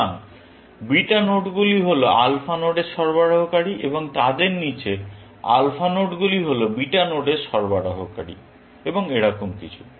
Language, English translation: Bengali, So, beta nodes are suppliers to alpha nodes and below them, alpha nodes are suppliers to beta nodes and so on and so forth